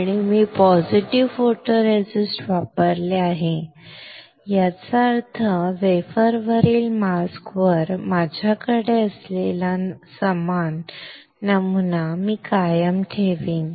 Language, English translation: Marathi, And I have used positive photoresist; that means, I will retain the similar pattern that I had on the mask on the wafer correct